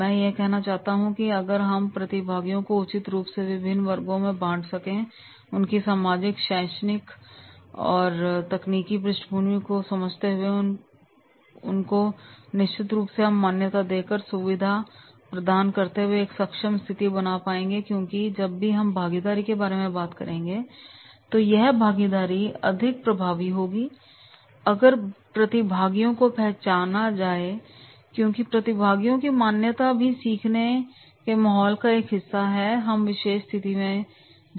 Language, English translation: Hindi, If what I want to say that is if there is a proper classification of the learners and that we understand with their social background with the technological background with their educational background then definitely we will be creating and enabling conditions and enabling conditions by facilitating them by recognition because whenever we talk about the participation then the participation will be more effective if we recognize the participant and recognition of participant is also a part of learning environment which we create in the particular situation